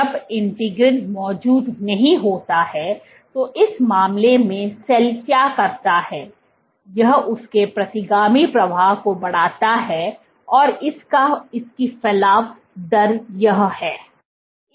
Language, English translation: Hindi, When there is integrin not present, in this case what the cell does is it increases its retrograde flow and its protrusion rate is this